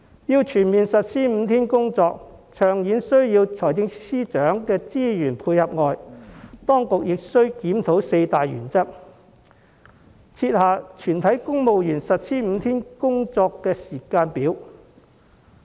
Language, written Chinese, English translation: Cantonese, 要全面實施5天工作，長遠而言除了需要財政司司長的資源配合外，當局亦須檢討四大原則，設下全體公務員實施5天工作周的時間表。, In the long run full implementation of the five - day week work mode requires not only resources from the Financial Secretary but also a review on the four guiding principles and a timetable for implementing the five - day week work mode on all civil servants